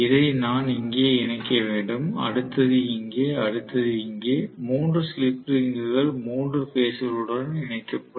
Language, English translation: Tamil, So, I have to connect this here, the next one here, the next one here, 3 slip rings will be connected to the three phases